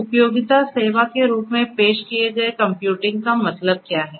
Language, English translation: Hindi, So, computing offered as a utility service means what